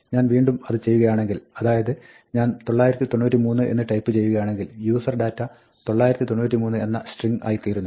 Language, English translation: Malayalam, If I do it again and if I type in something else like 993, for example, then userdata becomes the string “993”